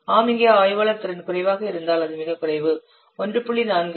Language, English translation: Tamil, Analyst capability, if it is low, it is very low 1